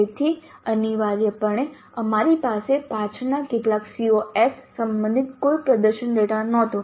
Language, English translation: Gujarati, So essentially we had no performance data regarding some of the later COs